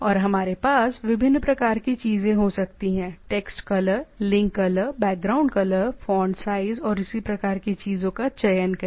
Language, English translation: Hindi, And we can have different type of things next color text color, link color, background color, choose font size and type of thing